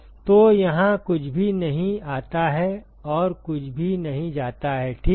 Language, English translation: Hindi, So, nothing comes here and nothing goes out ok